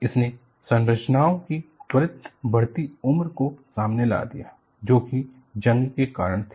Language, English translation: Hindi, It has really opened up the accelerated ageing of structures, due to corrosion